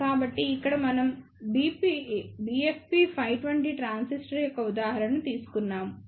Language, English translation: Telugu, So, here we have taken an example of BFP520 transistor